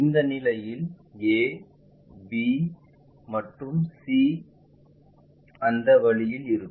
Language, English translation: Tamil, If that is a situation we will have a, b and c will be in that way